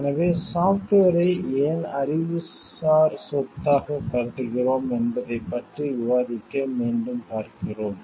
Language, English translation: Tamil, So, we will refer back again to discuss like why we consider software as an intellectual property